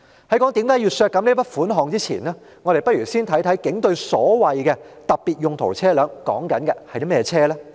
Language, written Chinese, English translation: Cantonese, 在我解釋為何要削減這筆款項前，我們不如先了解警隊所謂的特別用途車輛是甚麼車輛。, Before I explain why such a sum should be cut let us first find out what the so - called police specialised vehicles are